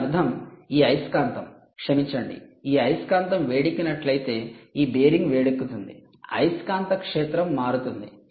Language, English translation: Telugu, ok, good, which means if this magnet sorry, if this magnet heats up, if this bearing heats up, the magnetic field of this arc magnet would change